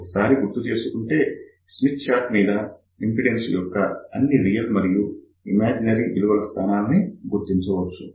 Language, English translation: Telugu, Recall Smith chart, on the Smith chart, we can locate all the real and imaginary values of the impedances